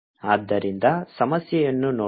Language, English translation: Kannada, so let's, ah, see the problem